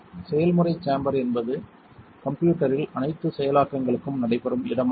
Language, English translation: Tamil, The process chamber is where all the processing takes place on the system